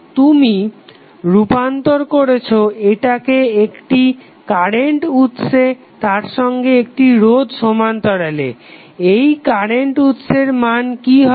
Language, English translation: Bengali, You will convert this into current source in parallel with resistance what would be the value of this current source